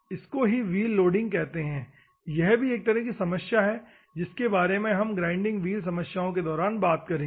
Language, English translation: Hindi, This is called wheel loading; this is also a problem we will address in the whenever the grinding wheel problems come